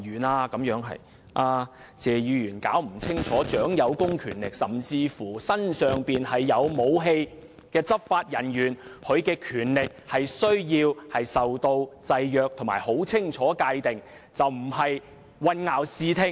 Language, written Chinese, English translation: Cantonese, 謝議員未能搞清楚，掌有公權力，甚至身上有武器的執法人員的權力須受到制約及很清楚地界定，而並非混淆視聽。, Mr TSE failed to understand clearly that the powers of law enforcement officers who are vested with public powers and even carry weapons with them must be subject to restrictions and clear definition so the issues should not be confused